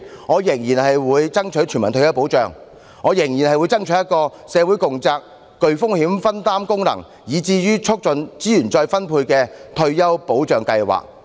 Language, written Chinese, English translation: Cantonese, 我仍然會爭取全民退保，爭取一個社會共責、具風險分擔功能，以至促進資源再分配的退休保障制度。, I will continue to fight for universal retirement protection . I will fight for a retirement protection system which embodies the concept of responsibility shared by the community and the function of risk sharing and also facilitates the redistribution of resources